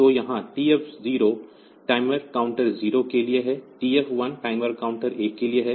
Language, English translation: Hindi, So, here TF 0 is for timer counter 0, TF 1 is for timer counter 1